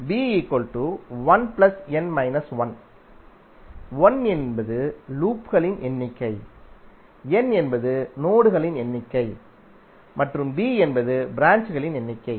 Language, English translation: Tamil, So b is nothing but l plus n minus one, number of loops, n is number of nodes and b is number of branches